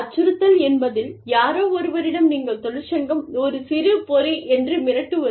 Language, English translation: Tamil, Intimidation means, that you tell somebody, that the union is a very small fry